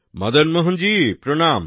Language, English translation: Bengali, Madan Mohan ji, Pranam